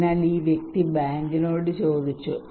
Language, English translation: Malayalam, So this person asked the bank